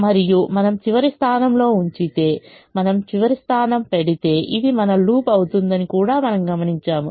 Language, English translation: Telugu, and if you put in the last position, we also observe that if you put last position, this will be our loop